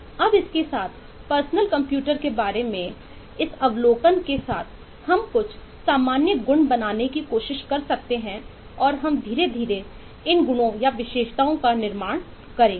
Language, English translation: Hindi, now, with this, with this eh observation about personal computer, we can try to make some generic eh properties and we will slowly build up on those properties